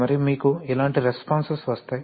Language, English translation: Telugu, And you will get responses like this